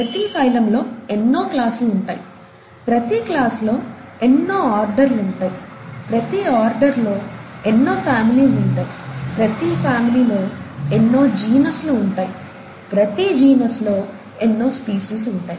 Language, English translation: Telugu, Each class has many orders, each order has many families, each family has many genuses, and each genus has many species